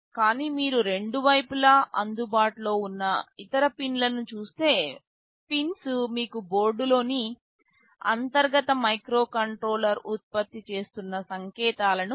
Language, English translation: Telugu, But, if you see the other pins available on the two sides, the pins provide you with the signals that the internal microcontroller on board is generating